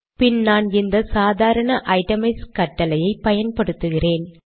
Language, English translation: Tamil, Then I use the normal itemize command